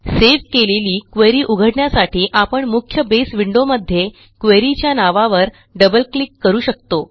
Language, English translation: Marathi, We can open this saved query by double clicking on the query name in the main Base window